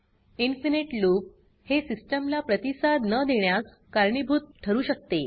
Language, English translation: Marathi, Infinite loop can cause the system to become unresponsive